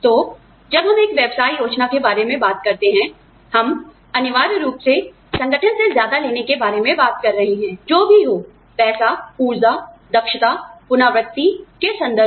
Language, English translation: Hindi, So, when we talk about a business plan, we are essentially talking about, getting more out of the organization, in terms of, what we, in terms of whatever, money, the energy, efficiency, repetition, whatever